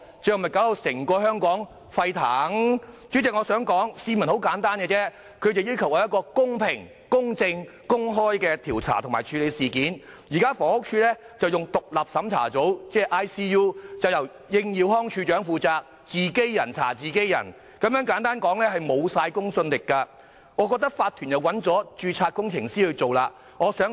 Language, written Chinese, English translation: Cantonese, 代理主席，市民的要求十分簡單，他們只要求公平、公正、公開地調查及處理事件，但現時的獨立審查組由房屋署署長應耀康負責，可謂是"自己人查自己人"，完全沒有公信力，而法團已聘請結構工程師進行調查。, Deputy President the public demand is simple they hope that the matter will be investigated and handled in a fair equitable and open manner . Nevertheless it can be said that ICU led by Director of Housing Stanley YING is conducting an investigation by peers with no credibility at all . Furthermore the OC of the estate has commissioned structural engineers to investigate the matter